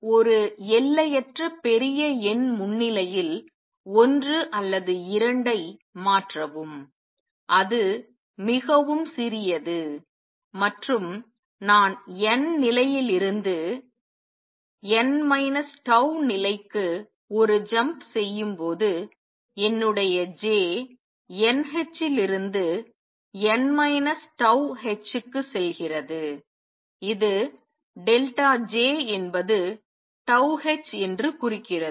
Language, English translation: Tamil, Change one or two in presence of an infinitely large number is very small, and when I making a jump from n th level to n minus tau level, my J goes from n h to n minus tau h which implies that delta J is tau h